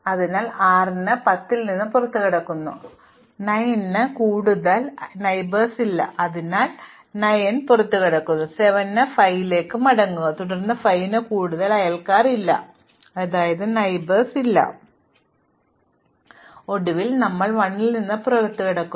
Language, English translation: Malayalam, So, we exit 10 at time 6, 9 has no further neighbors, so exit 9 at time 7 come back to 5, then 5 has no further neighbors, so we exit 5, and then finally we exit 1